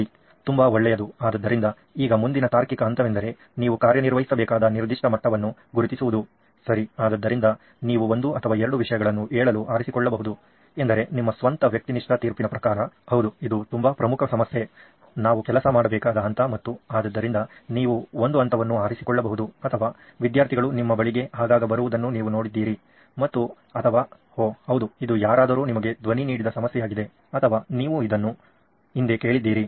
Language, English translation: Kannada, Okay, so good so now the logical next step is to identify a particular level at which you have to operate, okay so you can pick saying one or two things is that you see that according to your own subjective judgment that yes this is a very important problem a level at which we have to work and so you can pick one level like that or you have seen students come often to you and or you have observed students in a state where oh yeah this is a problem somebody has voiced it to you or you have heard it in the past